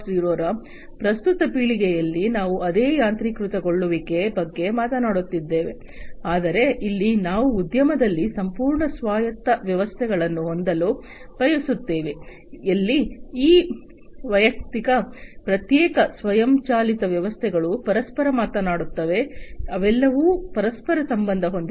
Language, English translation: Kannada, 0, we are talking about the same automation, but here we want to have complete autonomous systems in the industry, where this individual, separate, automated systems will also be talking to each other, they will be all interconnected